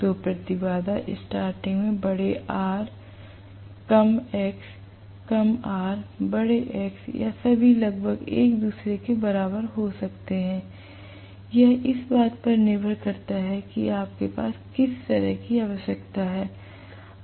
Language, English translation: Hindi, So, the impedance starting can include large R less x, less R large X or all of them almost equal to each other, depending upon what is kind of requirement you have